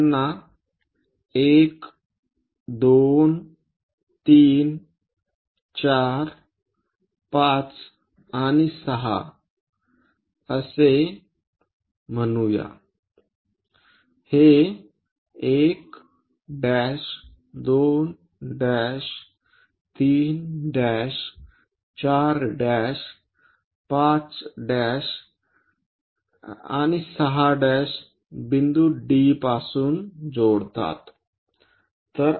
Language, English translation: Marathi, Let us call them 1 2 3 4 5 and 6 these are 1 dash, 2 dash, 3 dash, 4 dash, 5 dash and 6 dash connect from point D